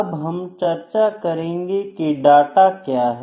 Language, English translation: Hindi, Now, we discussed what is data